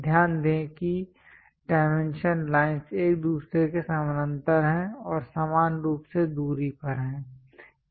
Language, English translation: Hindi, Note that the dimension lines are parallel to each other and equally spaced